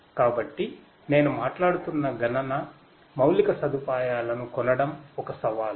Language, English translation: Telugu, So, buying the computing infrastructure I am talking about right so that is a challenge